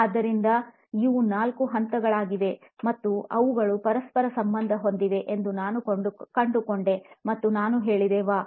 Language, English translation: Kannada, So, these are the four stages, and I found out they were correlated and I said, “Wow